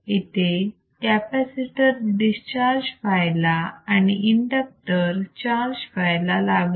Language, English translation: Marathi, Now, the capacitor is discharging through the inductor and